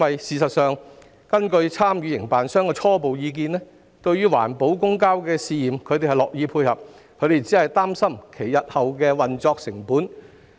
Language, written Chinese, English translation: Cantonese, 事實上，根據參與營辦商的初步意見，它們樂意配合試驗環保公交，但擔心日後的運作成本。, In fact the preliminary view of the participating operators is that while they are happy to collaborate in the pilot use of green public transport vehicles they are concerned about the future operating costs